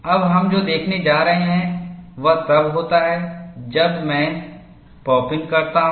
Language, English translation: Hindi, Now, what we are going to look at, is what happens, when I have pop in